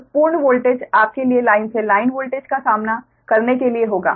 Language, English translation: Hindi, so full voltage will be your to withstand full line to line voltage right